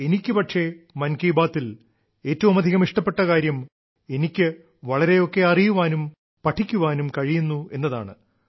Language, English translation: Malayalam, But for me the best thing that I like in 'Mann Ki Baat' is that I get to learn and read a lot